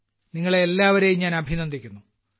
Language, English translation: Malayalam, So first of all I congratulate you heartily